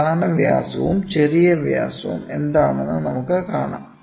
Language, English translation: Malayalam, Then, we will try to see what is major diameter and minor diameter